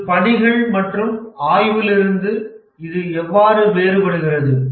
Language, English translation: Tamil, How is it different from tasks and exploration